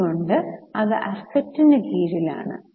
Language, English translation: Malayalam, So, it should go under the assets